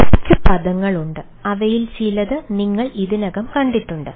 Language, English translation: Malayalam, there are few terminologies ah, some of them already have seen